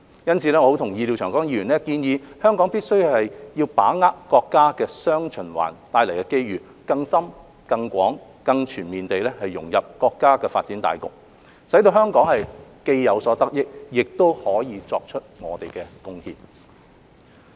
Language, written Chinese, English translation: Cantonese, 因此，我很同意廖長江議員建議香港必須把握國家"雙循環"帶來的機遇，更深、更廣、更全面地融入國家的發展大局，使香港既有所得益，亦可以作出貢獻。, For this reason I strongly agree with the proposal of Mr Martin LIAO that Hong Kong must seize the opportunities arising from the countrys dual circulation to integrate into the overall development of the country more deeply extensively and comprehensively so that Hong Kong can both benefit from and contribute to it